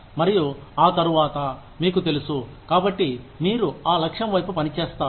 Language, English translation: Telugu, And, after that, you know, so you work towards that goal